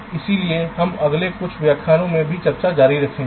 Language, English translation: Hindi, so we shall be you continuing our discussion in the next few lectures as well